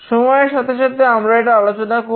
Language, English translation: Bengali, We will discuss about this in course of time